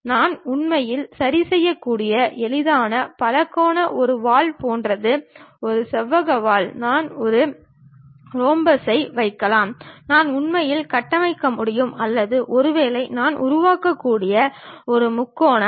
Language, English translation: Tamil, The easiest polygon what I can really fix is something like a tail, a rectangular tail I can put maybe a rhombus I can really construct or perhaps a triangle I can really construct